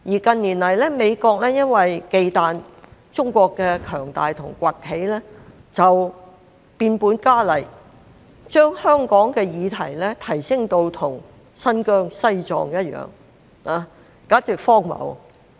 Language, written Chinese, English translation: Cantonese, 近年來，美國因為忌憚中國的強大和崛起而變本加厲，將香港的議題提升到與新疆、西藏一樣，簡直荒謬。, In recent years due to fear of the robust development and rise of China the United States has gone increasingly out of line by elevating the Hong Kong issues to the same level as those in Xinjiang and Tibet